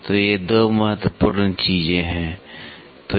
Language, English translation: Hindi, So, these 2 are the very important things so, that is what